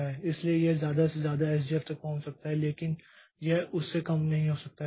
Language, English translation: Hindi, So, it can at most reach the value of SJF but it cannot be less than that